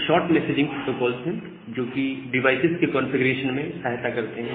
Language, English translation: Hindi, Again they are short messaging protocol which helps faster configuration of the device devices